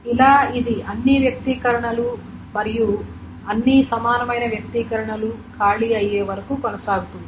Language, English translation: Telugu, And this keeps on going till all the expressions and all the equivalence expressions are being exhausted